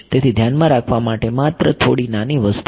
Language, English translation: Gujarati, So, there is just some small thing to keep in mind